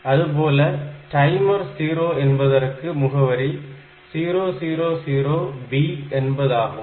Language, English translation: Tamil, So, this address is 0003 timer 0 is 000B